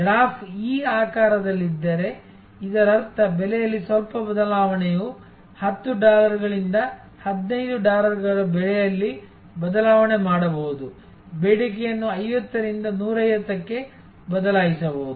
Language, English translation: Kannada, If the graph is of this shape; that means, a little change in price can make that means, is 10 dollars to 15 dollars change in price, can change the demand from 50 to 150